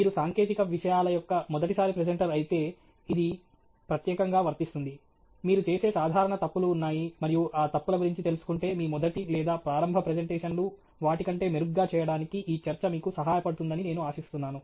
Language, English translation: Telugu, This is especially true if you are a first time presenter of technical content, there are common mistakes that you make, and I hope that this talk will help you make your first or initial presentations better than what they would be if you had no idea of what was involved okay